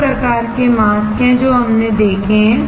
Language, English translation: Hindi, There are two types of mask which we have seen